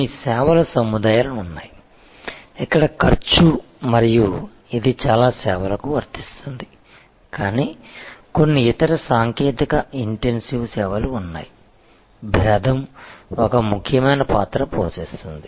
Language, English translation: Telugu, So, there are certain sets of services, where cost and this is true for most services, but there are certain other technology intensive services, were differentiation can play an important part